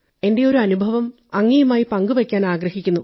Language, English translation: Malayalam, I would love to share one of my experiences